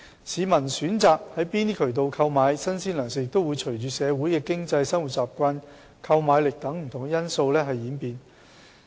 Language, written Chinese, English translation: Cantonese, 市民選擇從哪些渠道購買新鮮糧食亦會隨着社會經濟、生活習慣和購買力等不同因素演變。, The publics choice of channel for purchasing fresh provisions may change according to various factors such as the socio - economic condition habits and purchasing power